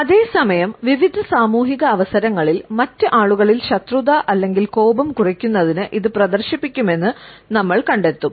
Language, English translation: Malayalam, At the same time you would find that on various social occasions, it is displayed to lower the hostility or rancor in other people